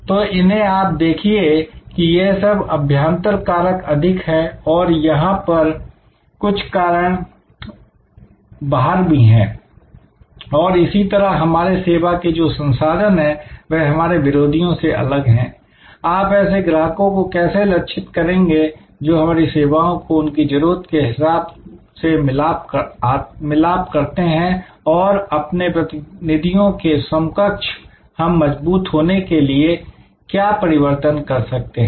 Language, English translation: Hindi, So, these you see are more internal factors and here there are some external factors, that how does each of our service products differ from our competitors, how well do our target customers perceive our service as meeting their needs and what change must we make to strengthen our competitive position